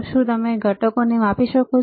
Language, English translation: Gujarati, Can you measure the components